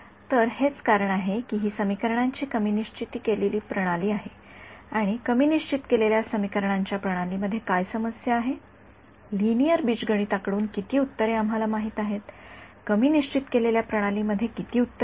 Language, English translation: Marathi, So, this is the reason why this is the underdetermined system of equations and what is the problem with underdetermined systems of equations, how many solutions from linear algebra we know, how many solutions that is under underdetermined system have